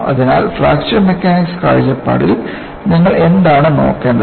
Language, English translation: Malayalam, So, from Fracture Mechanics point of view, what you will have to look at